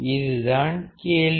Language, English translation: Tamil, That is the question